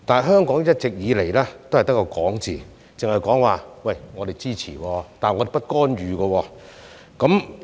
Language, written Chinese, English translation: Cantonese, 可是，一直以來，香港也只是口講支持，但卻不干預。, However all along Hong Kong has only been paying lip service without any intervention